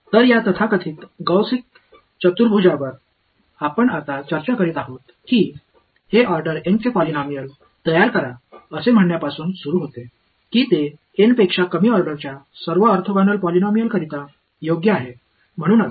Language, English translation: Marathi, So, this so called Gaussian quadrature that we are discussing now it starts with saying construct a polynomial of order N such that it is orthogonal to all polynomials of order less than N